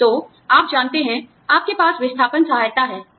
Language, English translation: Hindi, So, you know, you have outplacement assistance